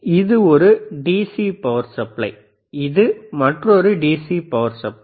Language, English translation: Tamil, This one is DC power supply, this is another DC power supply